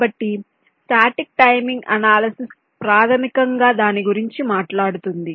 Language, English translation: Telugu, so static timing analysis basically talks about that